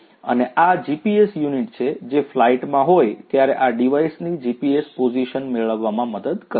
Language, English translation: Gujarati, And, this is this GPS unit, which will help in getting the GPS position of this device when it is in flight